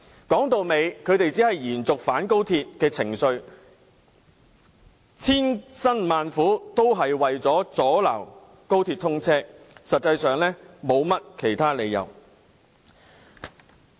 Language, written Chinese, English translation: Cantonese, 歸根究底，他們只想延續反高鐵情緒，千辛萬苦也只是為了阻撓高鐵通車，實質理由欠奉。, In gist they merely want to sustain such anti - XRL sentiments and all their hard work is only intended to hinder the commissioning of XRL . Actually they are groundless